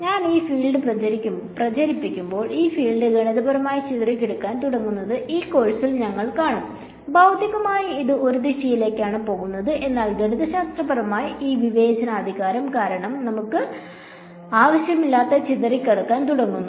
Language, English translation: Malayalam, And when I propagate this field, we will see in this course that that field begins to mathematically disperse,; physically its going in one direction, but mathematically because of this discretization it begins to disperse which we do not want